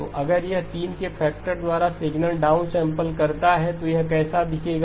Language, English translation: Hindi, So if this signal down sample by a factor of 3 what would it look like